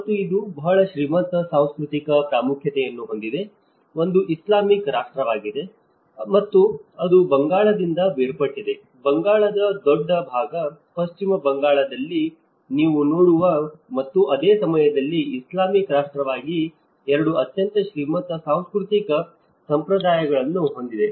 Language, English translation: Kannada, And it has a very rich cultural importance, one is being an Islamic nation and also partly it has some because it has been splitted from the Bengal; the larger part of the Bengal so, it has a very rich cultural traditions of both what you see in the West Bengal and at the same time as the Islamic as a nation